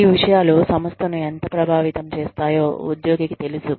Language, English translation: Telugu, And, the employee knows, how much these things, affect the organization